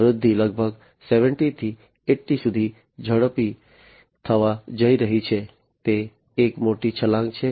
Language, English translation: Gujarati, The growth is going to be accelerated from about 70 to 80, so it is a huge leap